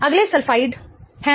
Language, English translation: Hindi, The next one is that of the sulfide